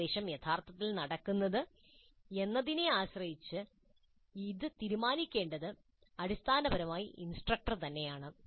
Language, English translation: Malayalam, It is basically the instructor who has to decide on this depending upon how actually the instruction is taking place